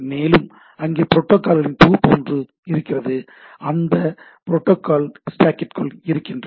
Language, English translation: Tamil, And so, there is a bunch of protocols which are they are in the within this protocol stack